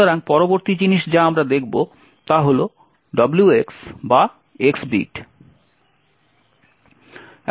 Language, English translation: Bengali, So, the next thing which we will look at is the WX or X bit